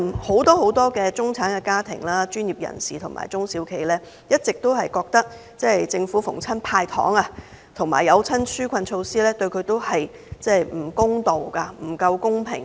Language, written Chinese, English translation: Cantonese, 很多中產家庭、專業人士及中小企都覺得政府每逢"派糖"及推出紓困措施，均對他們都不公道、不公平。, For many middle - class families professionals and small and medium enterprises they regard that they have been unfairly treated whenever the Government hands out sweeteners or introduces relief measures